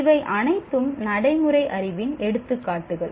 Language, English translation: Tamil, These are all examples of procedural knowledge